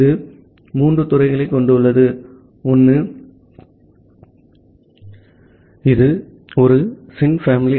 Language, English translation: Tamil, It has these three fields, one is the sin family